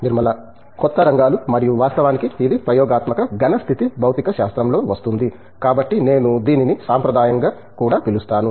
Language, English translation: Telugu, Newer areas and of course, because it falls into experimental solid state physics I would call that as a traditional as well